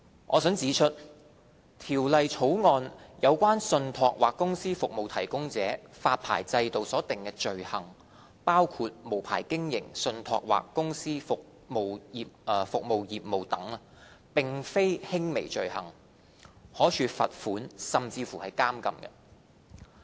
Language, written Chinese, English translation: Cantonese, 我想指出，《條例草案》有關信託或公司服務提供者發牌制度所訂的罪行，包括無牌經營信託或公司服務業務等，並非輕微罪行，可處罰款甚至監禁。, I would like to point out that the offences provided in the Bill concerning trust or company service providers including carrying on a trust or company service business without a licence are not minor offences and are punishable with a fine or imprisonment